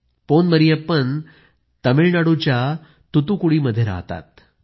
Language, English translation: Marathi, He is Pon Mariyappan from Thoothukudi in Tamil Nadu